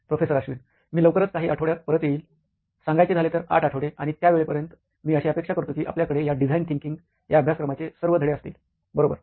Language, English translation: Marathi, Wow, I will be back shortly in a few weeks an 8 weeks to be precise and by that time, I expect that you will have all of the lessons of this design thinking course record, right